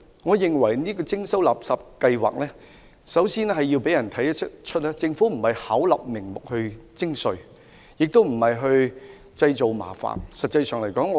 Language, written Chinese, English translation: Cantonese, 我認為，垃圾徵費計劃首先要讓市民明白，政府不是巧立名目徵稅，亦不是製造麻煩。, In my view we must first of all make the public understand that the waste charging scheme is not a pretext made up by the Government to levy a new tax or create trouble